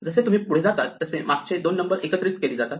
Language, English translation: Marathi, So, you just keep adding the previous two numbers and you go on